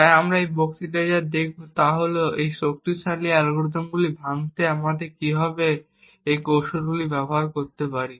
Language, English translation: Bengali, So what we will see in this lecture is how we could use a few tricks to break these extremely strong algorithms